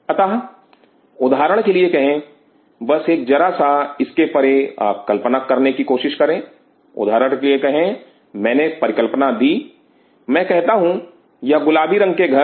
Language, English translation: Hindi, So, say for example, just try to take an imagination slightly beyond it say for example, I given hypothesis I say these pink color houses